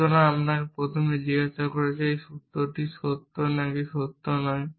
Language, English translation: Bengali, So, first let us let me ask is this formula true or not true